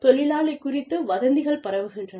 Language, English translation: Tamil, Gossip is spread about the worker